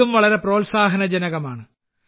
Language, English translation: Malayalam, This is also very encouraging